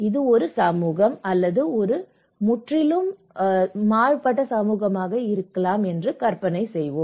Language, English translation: Tamil, Let us imagine that this is a community okay, this is a society, this in entirely a one community